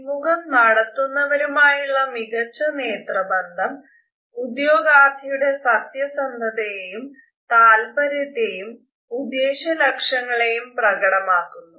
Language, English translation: Malayalam, A positive eye contact during interviews exhibits honesty as well as interest and intentions of the candidate